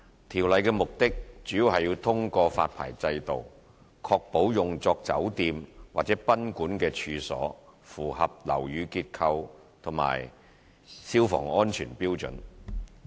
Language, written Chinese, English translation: Cantonese, 《條例》的目的主要是通過發牌制度確保用作酒店或賓館的處所符合樓宇結構及消防安全標準。, 349 . The Ordinance aims to ensure that premises to be used as hotels or guesthouses meet the building structure and fire safety standards through a licensing regime